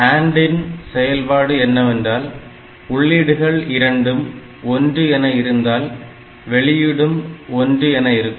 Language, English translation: Tamil, And in case of OR gate, whenever any of the inputs is 1, output will be 1